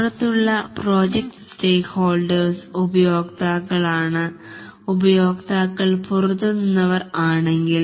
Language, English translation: Malayalam, The external project stakeholders are the customers if the customers are external